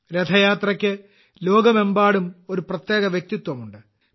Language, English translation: Malayalam, Rath Yatra bears a unique identity through out the world